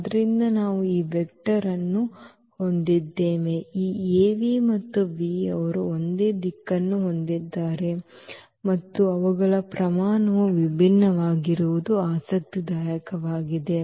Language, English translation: Kannada, So, we have this vector Av; what is interesting that this Av and v they have the same direction and their magnitudes are different